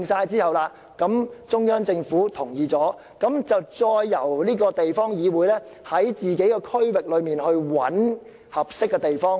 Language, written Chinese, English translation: Cantonese, 在中央政府同意有關建屋計劃後，便由地方議會在區內尋找合適的地方建屋。, After the central government gives its green light the council will take forward the housing plan and identify suitable places in the district for housing development